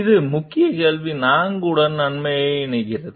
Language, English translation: Tamil, This connects us to the key question 4